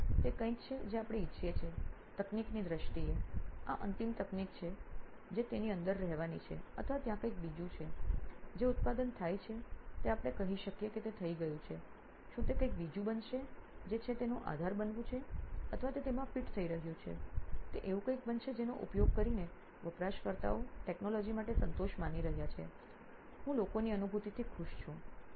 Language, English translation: Gujarati, So that is something that we want, in terms of technology is this the ultimate technology that is going to be inside it or is there something else, is the product done can we say it is done, is it going to be something else which is going to be the backend of it, or is it going to fit into it, is it going to be something that the users are going to be satisfied saying yes with this technology I am happy with that kind of a feeling people get